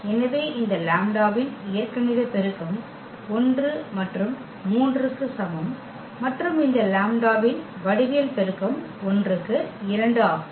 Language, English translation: Tamil, So, the algebraic multiplicity of this lambda is equal to 1 was 3 and the geometric multiplicity of this lambda is equal to 1 is 1 oh sorry 2